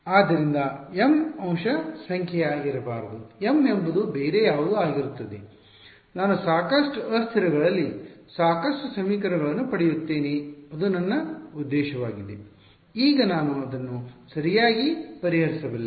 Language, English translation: Kannada, So, m cannot be element number, m will be something else such that I get enough equations in enough variables that is my objective only then I can solve it right